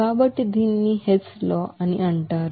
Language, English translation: Telugu, So this is called Hess law